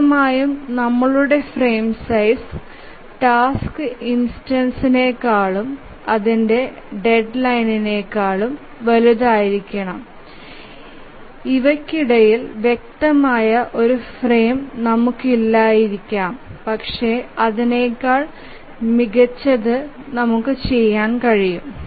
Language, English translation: Malayalam, Obviously if our frame size is larger than the task instance and its deadline, we may not have a clear frame which exists between this